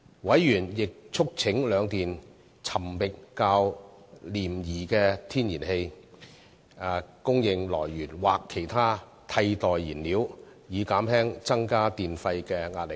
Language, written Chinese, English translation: Cantonese, 委員亦促請兩電尋覓較廉宜的天然氣供應來源或其他替代燃料，以減輕增加電費的壓力。, Members also urged the two power companies to identify supply sources of less expensive natural gas or other alternative fuels to mitigate the pressure on the tariff increases